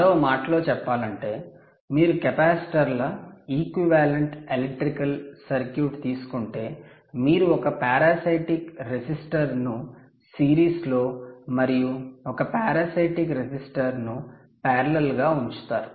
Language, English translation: Telugu, in other words, if you take a capacitors equivalent electrical circuit, you would put one parasitic resistor in series and one parasitic resistor in parallel